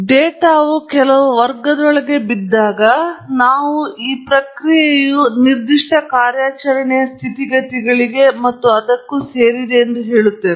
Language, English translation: Kannada, So, we say when the data falls into certain class, then the process belongs to a certain set of operating conditions and so on